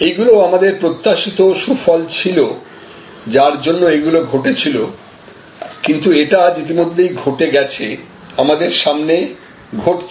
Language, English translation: Bengali, These are the expected gains that drove, but this has already happened, this is happening right in front of us